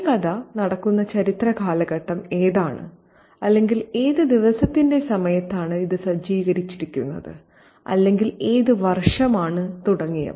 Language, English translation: Malayalam, What is the historical period in which this fiction is contextualized or what time of the day is it set in or the year and so on